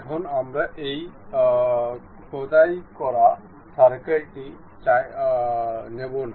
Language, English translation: Bengali, Now, we do not want this inscribed circle